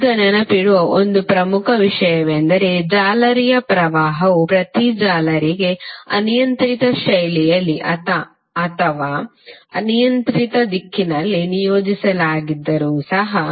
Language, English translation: Kannada, Now one important thing to remember is that although a mesh current maybe assigned to each mesh in a arbitrary fashion or in a arbitrary direction